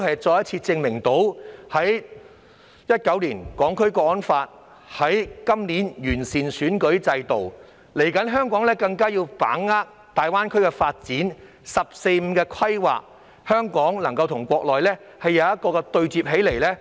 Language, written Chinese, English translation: Cantonese, 在2019年實施《香港國安法》及今年完善選舉制度後，香港更加要把握粵港澳大灣區的發展及"十四五"規劃，以期與內地對接。, After the introduction of the National Security Law in 2019 and the improvement to the electoral system this year Hong Kong has to exert greater efforts to capitalize on the development of the Guangdong - Hong Kong - Macao Greater Bay Area and the 14 Five - Year Plan with a view to fostering connections with the Mainland